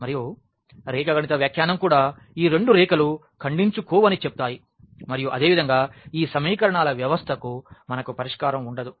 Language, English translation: Telugu, And, the geometrical interpretation also says the same that these two lines they do not intersect and hence, we cannot have a solution for this given system of equations